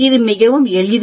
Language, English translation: Tamil, It is quite simple